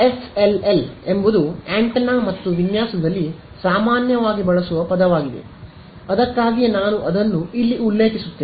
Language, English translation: Kannada, SLL is a very commonly used word in antenna and design that's why I mention it over here